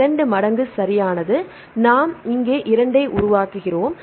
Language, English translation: Tamil, 2 times right one, we originate here one we originate 2 here rights